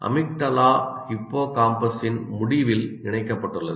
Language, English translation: Tamil, Emigdala is attached to the end of hippocampus